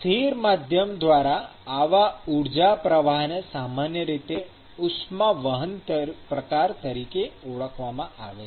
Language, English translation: Gujarati, So, such kind of an energy flow through a stationary medium is typically referred to as a conduction mode of heat transport